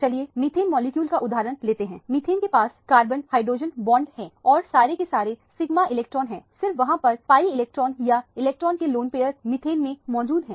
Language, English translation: Hindi, Let us take the example of methane as a molecule, methane has carbon hydrogen bond and all of them are sigma electrons only there are pi electrons or lone pair of electrons in methane